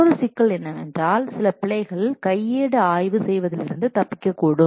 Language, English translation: Tamil, Another problem is that some errors might still escape during manual inspection